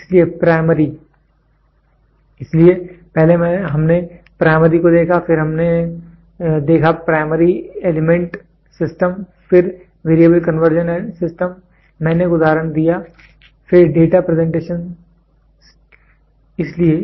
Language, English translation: Hindi, So, primary so, first we saw primary so, then we saw where Primary Element System, then Variable Conversion System I gave an example, then the data presentation happens in the CRO